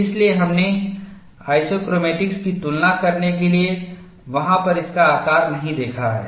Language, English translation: Hindi, We look at this, something similar to your isochromatics